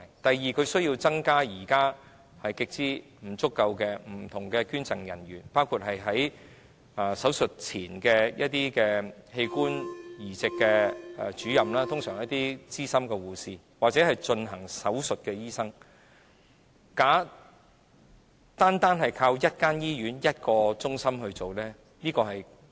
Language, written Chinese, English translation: Cantonese, 第二，政府需要增加現時極之不足夠的處理器官捐贈的人員，包括增設有關器官移植的主任，他們通常是一些資深的護士，或進行手術的醫生，以處理手術前的事務。, Secondly in the light of the serious shortfall of health care personnel the Government needs to recruit more personnel to deal with organ donation including recruiting additional organ transplant officers who can be veteran nurses or surgeons to deal with pre - surgery matters